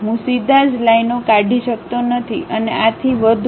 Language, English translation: Gujarati, I cannot straight away delete the lines and so on